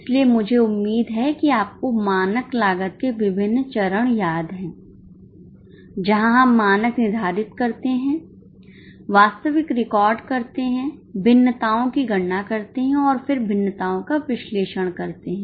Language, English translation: Hindi, So, I hope you remember the steps in standard costing where we set the standard record actuals, calculate variances and then analyze the variances